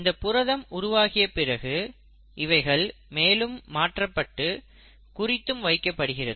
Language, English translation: Tamil, Now once the proteins have been synthesised, the proteins can get further modified and they can even be tagged